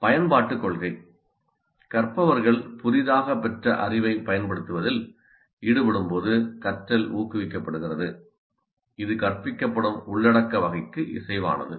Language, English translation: Tamil, Learning is promoted when learners engage in application of their newly acquired knowledge that is consistent with the type of content being taught